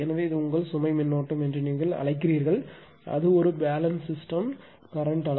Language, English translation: Tamil, This is the your what do you call ah load current right and it is a balance system the magnitude of the current